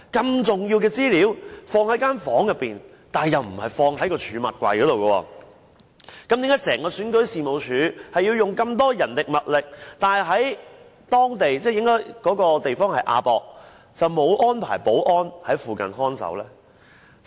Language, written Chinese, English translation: Cantonese, 如此重要的資料，放在一個房間裏，但又不是放入儲物櫃之中，為何選舉事務處本身需要這麼多人力物力，但是在亞洲國際博覽館場地卻沒有安排保安人員在附近看守呢？, Why would the computers containing such important information be placed inside a room instead of stored in the cabinet? . Why would REO need so much manpower and so many resources itself but no security guard was deployed in the vicinity of the AsiaWorld - Expo venue?